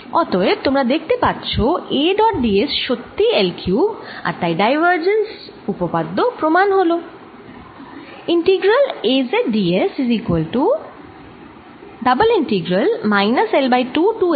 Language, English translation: Bengali, so you can see immediately that a dot d s is indeed l cubed and that confirms this divergence theorem